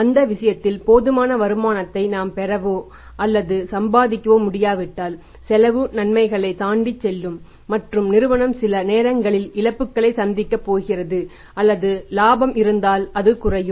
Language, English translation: Tamil, That is going to increase the financial cost of the firm and if we are not able to draw or earn sufficient returns on that in that case the cost is going to outweigh the benefits and the firm is going to incur the losses sometimes or maybe if there is a profit then profit is going to go down